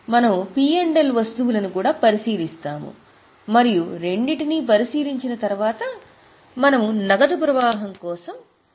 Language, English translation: Telugu, We will also have a look at P&L items and then after considering both we will go for preparation of cash flow